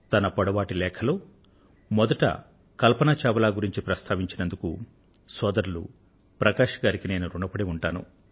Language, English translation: Telugu, I am thankful to Bhai Prakash ji for beginning his long letter with the sad departure of Kalpana Chawla